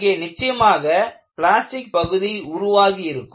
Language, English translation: Tamil, So, definitely there will be a plastic zone developed